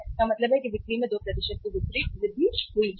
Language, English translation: Hindi, It means sales have gone up by 2%